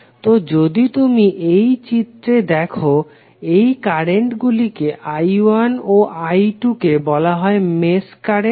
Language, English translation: Bengali, So if you see in this figure, these currents I1 and I2 are called as mesh currents